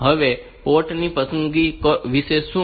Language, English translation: Gujarati, What about port selection